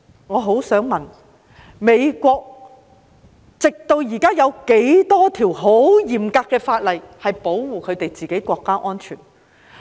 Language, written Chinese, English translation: Cantonese, 我想問他，直至現在，美國有多少項嚴格的法例是為保護自己國家的安全？, May I ask him of the number of laws implemented so far by the United States for safeguarding its national security?